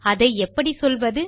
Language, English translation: Tamil, How can I word it